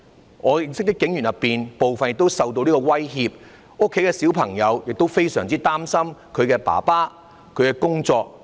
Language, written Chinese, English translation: Cantonese, 在我認識的警員當中，部分亦受到這個威脅，他們家裏的孩子亦非常擔心自己父親的工作。, Some of the police officers whom I know were also subjected to this kind of intimidation and the children in these families are also very worried about their fathers work